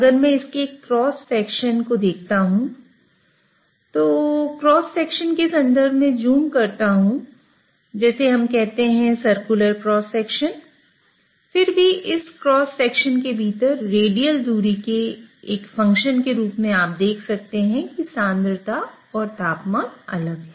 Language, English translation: Hindi, If I look at the cross section of this, if I zoom out, zoom in terms of the cross section, let us say a circular cross section, then even within this cross section as a function of radial distance, you may see that the concentrations and temperatures are different